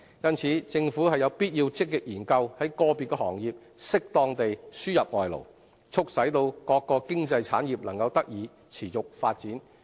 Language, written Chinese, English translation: Cantonese, 因此，政府必須積極研究在個別行業適當地輸入外勞，促使各經濟產業能得以持續發展。, Therefore it is incumbent upon the Government to actively study the importation of labour for individual trades and industries in a proper manner so as to facilitate sustainable development of the various economic areas